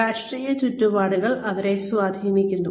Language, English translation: Malayalam, They are influenced by the political environment